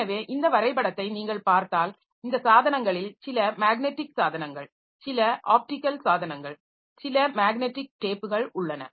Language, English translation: Tamil, So, as I said that if you look into this diagram, some of these devices are magnetic devices, some of them are optical devices, some of their magnetic devices again magnetic tape device